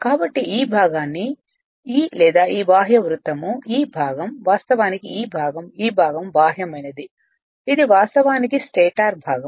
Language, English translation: Telugu, So, this your what you call this part this, or this your external circle, this part, actually this part, this part, external one this is actually stator, stator part right